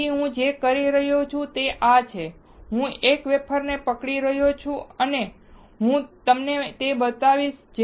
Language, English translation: Gujarati, So, what I am doing is, I am holding a wafer and I will show it to you